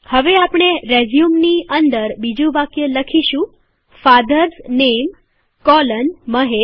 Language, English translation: Gujarati, So we type the second statement in the resume as FATHERS NAME colon MAHESH